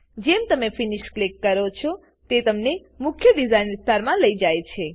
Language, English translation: Gujarati, Once you say Finish, it takes you to the main design area